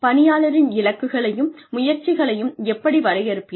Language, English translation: Tamil, How do you define employee goals and efforts